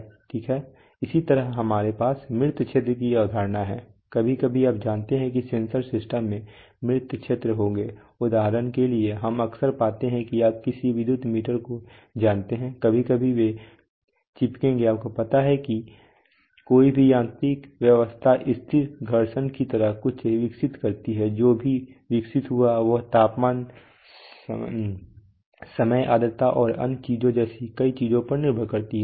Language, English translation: Hindi, Okay, similarly we have similar to the concept of dead zone sometimes you know sensors systems will have dead zones, for example we often find that you know this electrical meter sometimes they will stick you know any mechanical arrangement tends to develop something like a static friction which also developed depends on many things like temperature, time humidity and other things